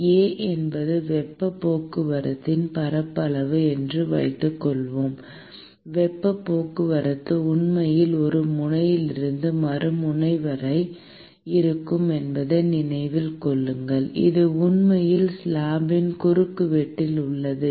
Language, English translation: Tamil, Suppose A is the area of the heat transport: remember that the heat transport is actually from one end to the other end, which is actually across the cross sections of the slab